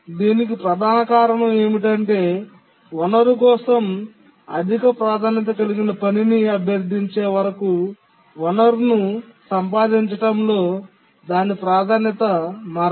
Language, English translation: Telugu, The main reason is that the priority of a task on acquiring a resource does not change until a higher priority task requests the resource